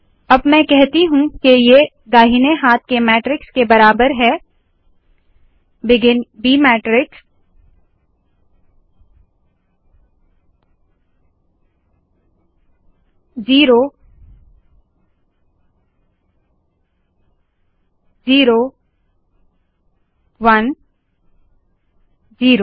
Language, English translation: Hindi, Let me now say that this is equal to the right hand side matrix of begin b matrix